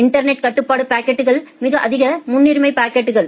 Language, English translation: Tamil, The network control packets are very high priority packets